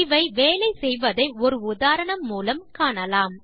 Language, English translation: Tamil, So let us see how they work through an example